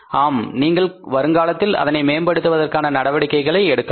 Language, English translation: Tamil, Yes you can take actions to improve the things in future